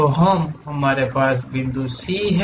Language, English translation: Hindi, So, we have point C